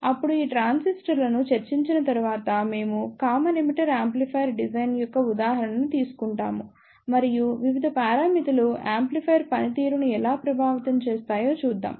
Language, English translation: Telugu, Then, after discussing these transistors, we will take an example of Common Emitter Amplifier Design and we will see how the various parameters affect the performance of the amplifier